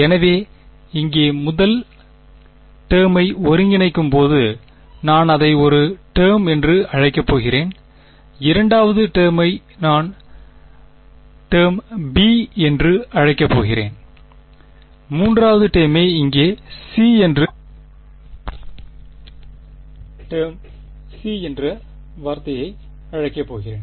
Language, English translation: Tamil, So, the first term over here when that integrates I am going to call it term a, the second term I am going to call term b and the third term over here I am going to call term c ok